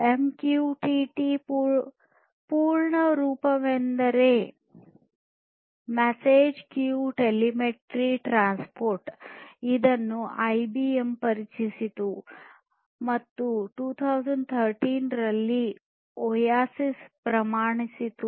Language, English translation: Kannada, One of which is the MQTT protocol, MQTT: the full form is Message Queue Telemetry Transport which was introduced by IBM and standardized by OASIS in 2013